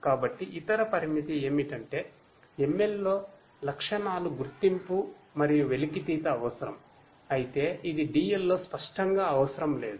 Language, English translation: Telugu, So, also the other limitation was that feature identification and extraction is required in ML whereas, it is not you know required explicitly in DL